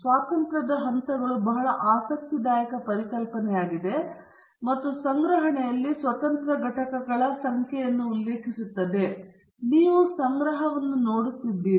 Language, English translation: Kannada, The degrees of freedom is a very interesting concept and refers to the number of independent entities in the collection, you are looking at the collection